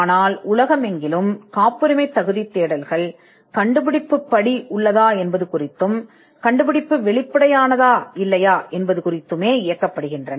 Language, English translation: Tamil, But patentability searches throughout the world are directed in determining whether there is inventive step, or whether the invention is obvious or not